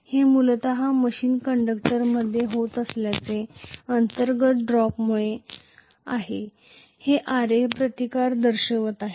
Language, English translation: Marathi, this is essentially because of the internal drop that is taking place within the machine conductors which are manifesting a resistance of Ra